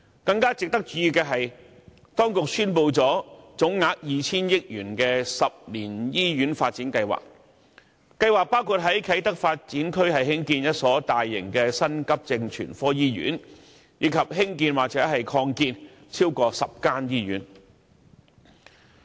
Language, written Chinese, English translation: Cantonese, 更值得注意的是，當局宣布了總額 2,000 億元的10年醫院發展計劃。計劃包括在啟德發展區增建一所大型的急症全科醫院，以及重建或擴建超過10間醫院。, It is worth noting even more that the Administration has announced a 200 billion 10 - year Hospital Development Plan which includes construction of one new acute hospital in the Kai Tak Development Area and redevelopment or expansion of more than 10 existing hospitals